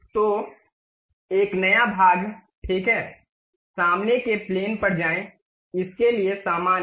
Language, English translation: Hindi, So, a new one, part ok, go to front plane, normal to it